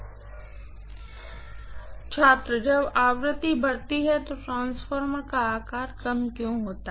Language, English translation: Hindi, [Professor student conversation starts] When frequency increases, why would the transformer size decrease